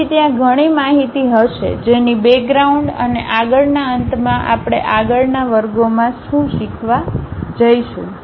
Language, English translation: Gujarati, So, there will be lot of information goes at the background and the front end what we are going to learn in next classes